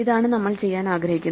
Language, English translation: Malayalam, This is what we want to do now